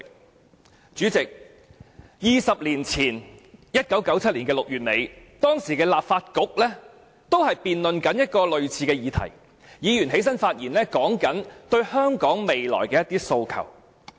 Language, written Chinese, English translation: Cantonese, 代理主席 ，20 年前在1997年6月底，當時的立法局也在辯論類似議題，議員說出對香港未來的一些訴求。, Deputy President 20 years ago in late June 1997 the then Legislative Council was debating similar issues and Members talked about their aspirations for the future of Hong Kong